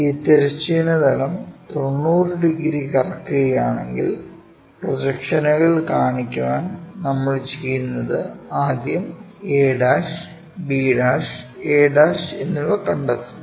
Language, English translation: Malayalam, So, if we are rotating this horizontal plane by 90 degrees would like to show the projections what we do is, first we locate a', b', a'